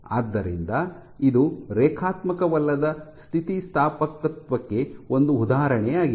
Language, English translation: Kannada, So, this is an example of non linear elasticity